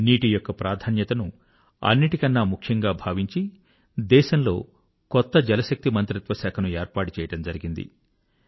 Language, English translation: Telugu, Therefore keeping the importance of water in mind, a new Jalashakti ministry has been created in the country